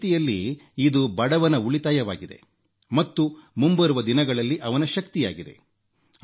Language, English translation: Kannada, In a way, this is a saving for the poor, this is his empowerment for the future